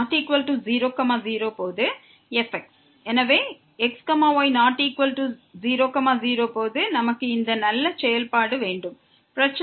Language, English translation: Tamil, So, when is not equal to , we have this nice function